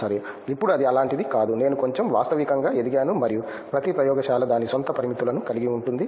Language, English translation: Telugu, Well, now it’s not like that, I have grown to be little more realistic and every lab comes with it is own constraints